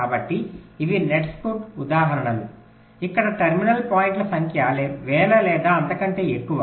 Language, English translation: Telugu, so these are examples of nets where the number of terminal points can run into thousands or even more